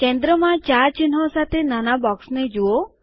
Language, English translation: Gujarati, Notice a small box with 4 icons in the centre